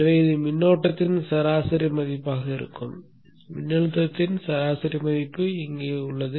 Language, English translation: Tamil, So this would be the average value of the current, the average value of the voltage is given here